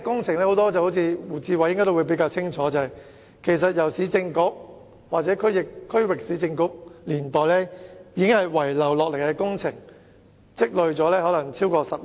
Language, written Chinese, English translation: Cantonese, 胡志偉議員可能比較清楚，這些工程大都是市政局或區域市政局遺留下來的工程，可能已拖了超過10年。, Mr WU Chi - wai might have a clearer idea . These projects which are mostly left over by the Urban Council or the Regional Council have been delayed for over 10 years